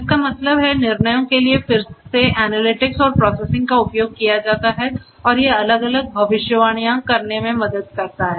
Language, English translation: Hindi, That means, decisions means that again analytics use of analytics and processing and these will help in making different predictions